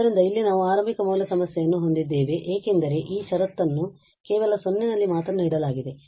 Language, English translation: Kannada, So, here we have the initial value problem because this conditions are given at 0 only